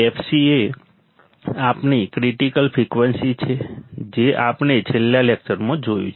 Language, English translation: Gujarati, F c is our critical frequency we have seen in the last lecture